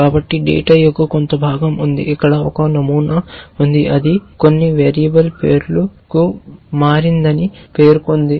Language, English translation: Telugu, So, there is a piece of data, here there is a pattern which says turn to some variable name